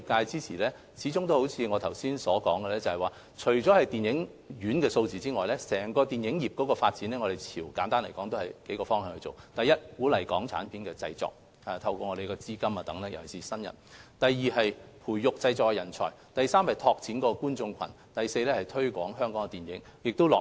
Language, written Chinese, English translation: Cantonese, 正如我剛才所說，在推動電影業發展及支援業界方面，我們的工作包括數個方向：第一，透過資金資助等鼓勵港產片製作，特別是鼓勵業界的新人製作電影；第二，培育電影製作人才；第三，拓展觀眾群；第四，推廣香港電影。, As I said earlier our work in promoting the development of the film industry and supporting the industry involves the following First encouraging the production of Hong Kong films through funding assistance in particular encouraging newcomers in the industry to engage in film production; second nurturing talent in film production; third expanding audiences; and fourth promoting Hong Kong movies